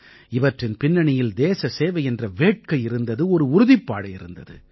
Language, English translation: Tamil, Behind it lies the spirit of service for the country, and power of resolve